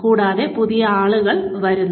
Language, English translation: Malayalam, And, new people come in